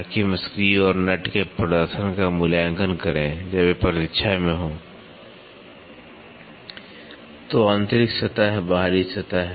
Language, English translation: Hindi, So, that we evaluate the performance of screw and nut when they are in waiting; so internal surface, external surface